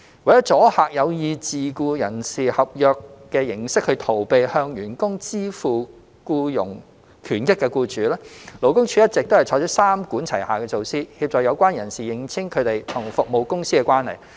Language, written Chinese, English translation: Cantonese, 為阻嚇有意藉自僱人士合約逃避向員工支付僱傭權益的僱主，勞工處一直採取三管齊下的措施，協助相關人士認清他們與服務公司的關係。, To deter employers who intend to use self - employment contracts to avoid paying employment benefits to their employees from doing so the Labour Department has been adopting a three - pronged approach to help those concerned to ascertain their relationship with the service companies concerned